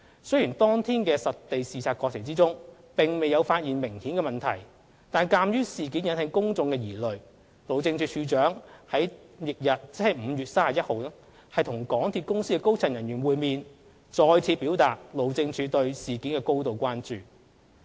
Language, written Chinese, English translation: Cantonese, 雖然當天實地視察過程中並未有發現明顯的問題，但鑒於事件引起公眾疑慮，路政署署長在翌日即5月31日與港鐵公司高層人員會面，再次表達路政署對事件的高度關注。, Although no apparent problems were found in the site inspection as the matter has aroused public concern the Director of Highways met with senior officers of MTRCL on 31 May to reiterate HyDs grave concern